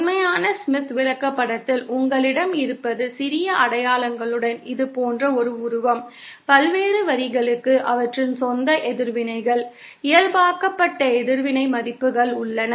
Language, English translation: Tamil, What you have in a real Smith chart is a figure like this with small markings, the various lines have their own reactances, normalised reactance values